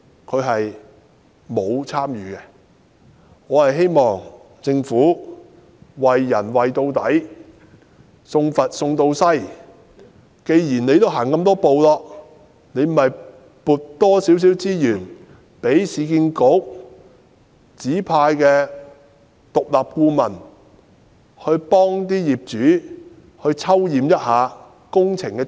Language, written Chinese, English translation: Cantonese, 我希望政府"為人為到底，送佛送到西"，既已走了這麼多步便增撥多一些資源，讓市建局指派的獨立顧問替業主抽驗一下工程質素。, I hope that the Government will provide property owners with further assistance all the way through the completion of the works . Given the numerous steps it has already taken the Government should further allocate some resources to enable URA - appointed independent consultants to conduct sampling tests on the quality of works on behalf of owners